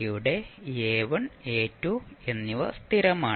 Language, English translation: Malayalam, So, a is constant and a is greater than 0